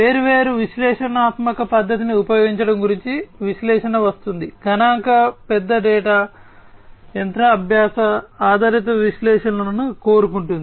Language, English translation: Telugu, Then comes the analysis which is about use of different analytical method statistical wants big data, machine learning based analytics and so on